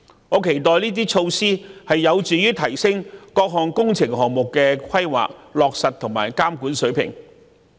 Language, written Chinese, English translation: Cantonese, 我期待這些措施能有助提升各項工程項目的規劃、落實和監管水平。, I anticipate that these measures will help enhance the planning implementation and monitoring of works projects